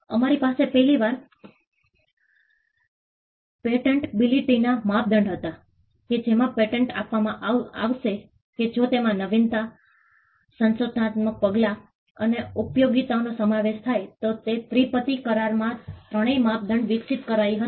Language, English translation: Gujarati, We had for the first time, the patentability criteria that was laid forth that the patent should be granted if it involves novelty, inventive step and utility the three criteria was evolved in the TRIPS agreement